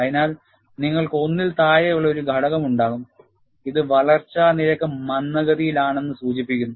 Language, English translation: Malayalam, So, you will have a factor less than 1, which indicates that, the growth rate is retarded